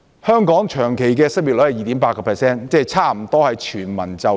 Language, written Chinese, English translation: Cantonese, 香港的長期失業率是 2.8%， 即差不多是全民就業。, The long - term unemployment rate of Hong Kong is 2.8 % . The labour market is almost in full employment